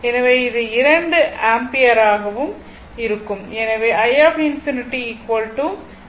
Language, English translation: Tamil, So, it will be 2 ampere